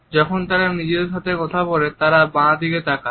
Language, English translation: Bengali, When they are taking to themselves they look down onto the left